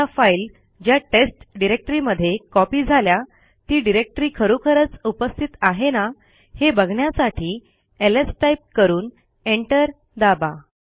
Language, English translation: Marathi, The files have now been copied, to see that the test directory actually exist type ls and press enter